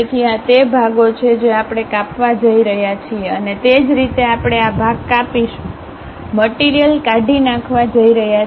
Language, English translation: Gujarati, So, these are the portions what we are going to cut and similarly we are going to cut this part, cut that part, material is going to get removed